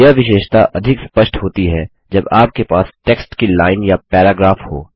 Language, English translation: Hindi, This feature is more obvious when you have a line or paragraph of text